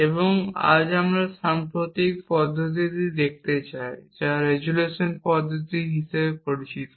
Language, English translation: Bengali, And today we want to look at recent method known as the resolution method